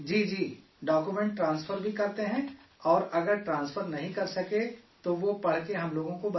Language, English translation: Urdu, Yes…Yes… We also transfer documents and if they are unable to transfer, they read out and tell us